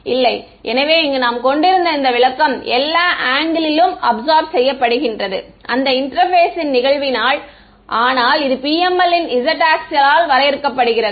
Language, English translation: Tamil, So, this interpretation that we had over here this is absorbing at all angles that are incident on this interface, but I mean the axis of PML is defined by z